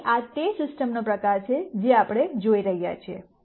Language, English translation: Gujarati, So, this is the kind of system that we are looking at